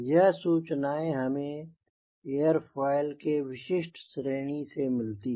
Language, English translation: Hindi, so this is a information which we get from a particular series of airfoil